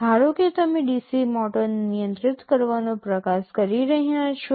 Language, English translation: Gujarati, Suppose you are trying to control a DC motor